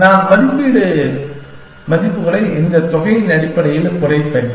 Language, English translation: Tamil, I will reduce evaluation values to by this amount essentially